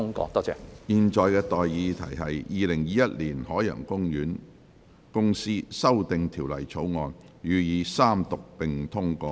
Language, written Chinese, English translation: Cantonese, 我現在向各位提出的待議議題是：《2021年海洋公園公司條例草案》予以三讀並通過。, I now propose the question to you and that is That the Ocean Park Corporation Amendment Bill 2021 be read the Third time and do pass